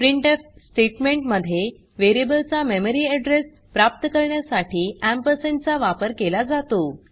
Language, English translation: Marathi, In the printf statement ampersand is used for retrieving memory address of the variable